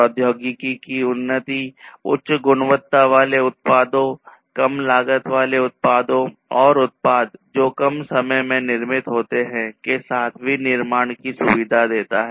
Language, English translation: Hindi, So, advancement in technology basically facilitates manufacturing with higher quality products, lower cost products and products which are manufactured in reduced time